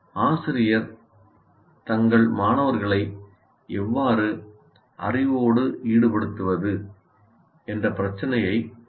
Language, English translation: Tamil, So what they should, now the teacher has to address the issue of how do I make my students engage with the knowledge